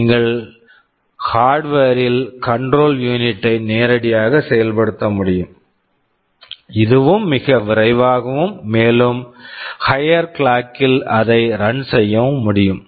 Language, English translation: Tamil, You can directly implement the control unit in hardware, if you do it in hardware itthis also becomes much faster and you can run it at a higher clock